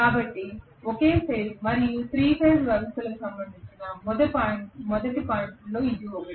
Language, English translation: Telugu, So this is one of the first points as for as the single phase and the 3 phase systems are concerned